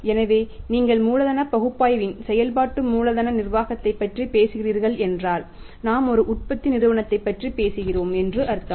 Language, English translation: Tamil, So, if you are talking about the working capital management of the working capital analysis it means we are talking about a manufacturing company